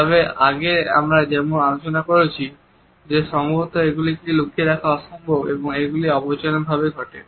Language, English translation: Bengali, However, as we have discussed earlier it is perhaps impossible to conceal them and they occur in an unconscious manner